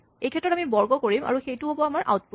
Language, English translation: Assamese, In this case, we squared and that will be our output